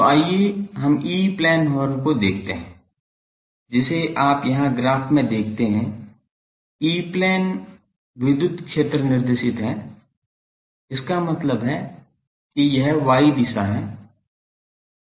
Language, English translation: Hindi, So, let us see the E plane horn that you see the graph here, the E plane the electric field is this directed; that means this y direction